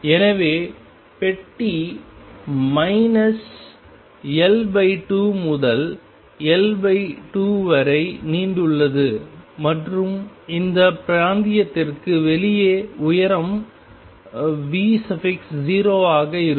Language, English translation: Tamil, So, the box extends from minus L by 2 to L by 2 and the height outside this region is V 0